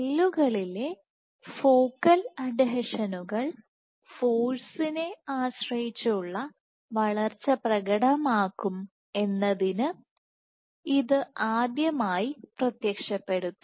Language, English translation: Malayalam, So, this was the first demonstration that cells where focal adhesions exhibit force dependent growth